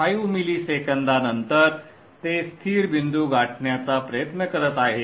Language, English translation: Marathi, 5 milliseconds almost it is trying to reach stable point